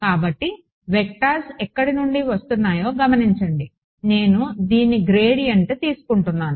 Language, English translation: Telugu, So, notice where the vectors are coming in from right I am taking a gradient of this right